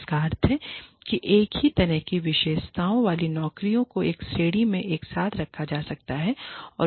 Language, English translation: Hindi, Which means that, jobs with the same kind of characteristics, can be put together, in a category